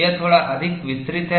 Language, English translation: Hindi, This is a little more elaborate